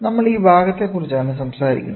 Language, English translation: Malayalam, So, we are talking about this part